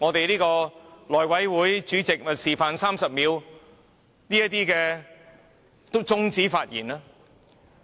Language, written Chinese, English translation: Cantonese, 內務委員會主席已示範了如何在30秒後終止議員發言。, The Chairman of the House Committee has demonstrated how to stop a Member from speaking after 30 seconds